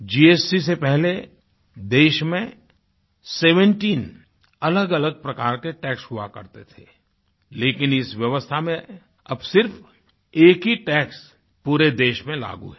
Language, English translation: Hindi, Before the onset of GST scheme, there were 17 different types of taxes prevailing in the country, but now only one tax is applicable in the entire country